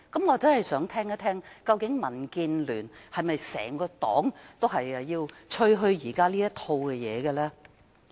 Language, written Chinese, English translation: Cantonese, 我真想聽聽民建聯整個黨是否也鼓吹現時她這套主張。, I really wish to hear whether the entire DAB advocates her proposition now